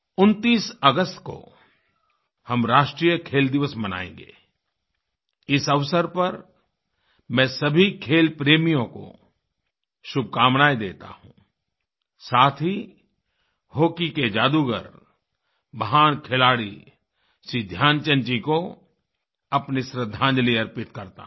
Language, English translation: Hindi, We shall celebrate National Sports Day on 29th August and I extend my best wishes to all sport lovers and also pay my tributes to the legendary hockey wizard Shri Dhyanchandji